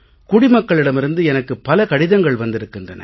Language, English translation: Tamil, I receive many letters from the citizens